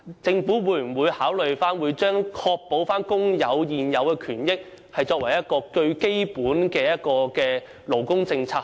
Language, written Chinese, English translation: Cantonese, 政府會否考慮以確保工人現有權益作為最基本的勞工政策？, Will consideration be given by the Government to adopting the protection of the existing rights and benefits of workers as its most basic labour policy?